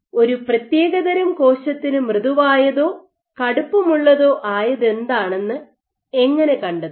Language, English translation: Malayalam, So, how do you find out given a cell type what is something as soft or what is something as stiff